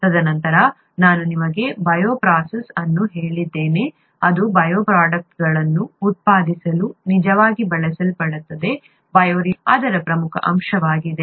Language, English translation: Kannada, And then I told you a bioprocess which is what is actually used to produce bioproducts, bioreactor is an important aspect of it